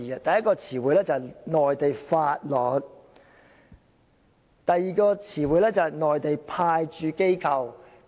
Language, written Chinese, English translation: Cantonese, 第一個是"內地法律"，第二個是"內地派駐機構"。, The first one is laws of the Mainland and the second one is Mainland Authorities Stationed at the Mainland Port Area